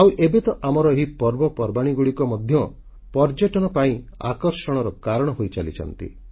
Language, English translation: Odia, Our festivals are now becoming great attractions for tourism